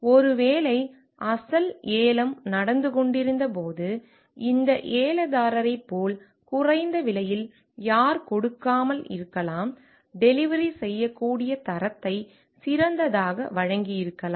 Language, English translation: Tamil, Maybe in the original when the original bidding was going on and who may not have given as much as lowest prices as this bidder, may could have given the better like deliverable the quality